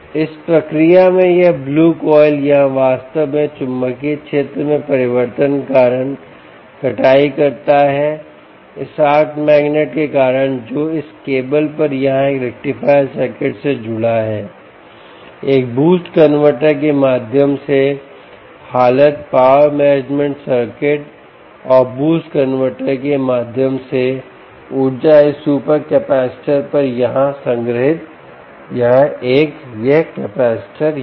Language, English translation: Hindi, this blue coil here is actually harvesting due to change in magnetic field, due to this arc magnets that is here on this cable, here connected to a rectifier circuit condition through a boost converter, power management circuits and boost converter energy stored on this supercapacitor here, this one, this capacitor here, ah um, we will put it here, this supercapacitor here and the complete circuit here, which essentially contains a microcontroller and, of course, the um